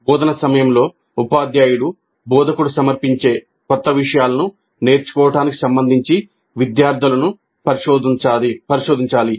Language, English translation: Telugu, During instruction, teacher must probe the students regarding their learning of the new material that is being presented by the instructor